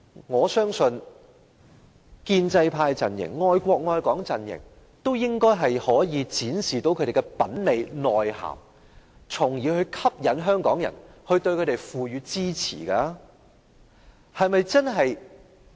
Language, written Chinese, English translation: Cantonese, 我相信建制派陣營、愛國愛港陣營應也可以展示他們的品味、內涵，從而吸引香港人對他們給予支持。, I am sure the pro - establishment camp and the love the country and Hong Kong camp are also capable of winning the support of Hong Kong people by demonstrating their own taste and strengths